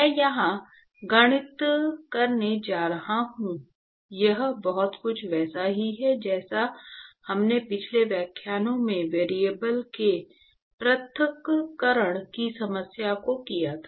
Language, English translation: Hindi, I am going to do the math here it is very similar to the way we did the separation of variables problem in the last lecture